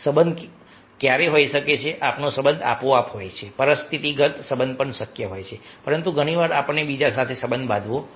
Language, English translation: Gujarati, so relationship ah might be some times we have the relationship automatically also the situational relationship also possible, but many times we have to have a relationship with others